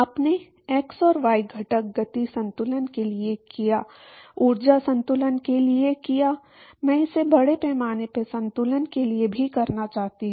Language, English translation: Hindi, You done for x and the y component momentum balance, done for the energy balance, I wanted to do it for mass balance also